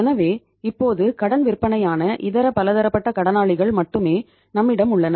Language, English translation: Tamil, So it means now we have only the sundry debtors that is the credit sales